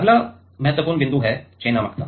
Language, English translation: Hindi, Next important point is selectivity ok